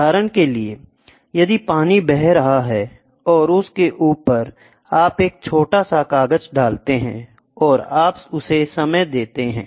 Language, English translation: Hindi, For example, if the water is flowing and on top of it, you put a small paper, and you time it, ok